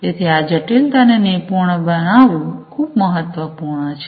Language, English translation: Gujarati, So, mastering this complexity is very important